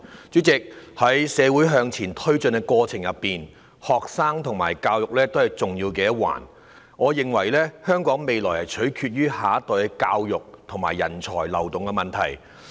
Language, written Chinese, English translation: Cantonese, 主席，在社會發展的過程中，學生和教育都是重要的一環，我認為香港未來取決於下一代的教育和人才的流動。, President students and education are important aspects in the process of social development . I think that Hong Kongs future depends on the education of the younger generation and the flows of talents